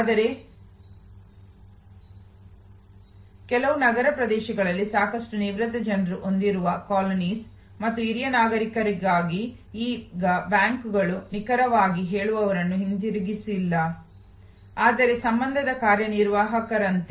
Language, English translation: Kannada, But, in some urban areas, where there are colonies having lot of retired people and for seiner citizens, now the banks have brought back not exactly tellers, but more like relationship executives